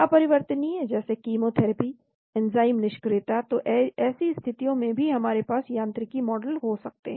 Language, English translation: Hindi, Irreversible like chemotherapy, enzyme inactivation, so we can have mechanistic model in such situations also